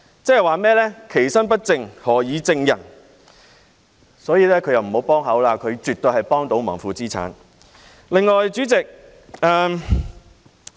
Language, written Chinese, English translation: Cantonese, 正所謂"其身不正，何以正人"，因此他不要加入討論，他絕對是負資產、在幫倒忙。, Therefore he should not join the discussion . He is definitely a negative asset and is doing a disservice